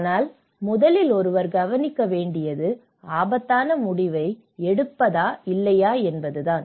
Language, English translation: Tamil, But the first thing is one has to look at; it is a very risky decision whether to take it or not